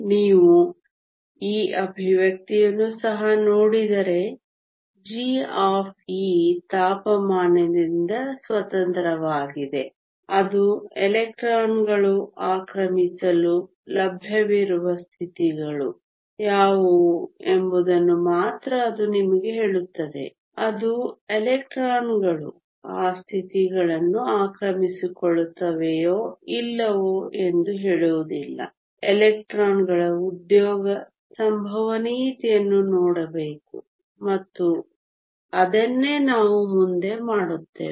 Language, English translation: Kannada, If you also look at this expression g of e is independent of temperature it only tells you what are the states that are available for the electrons to occupy it does not tell you whether the electrons occupy those states or not in order to do that we need to look at the occupation probability of electrons and that is what we will do next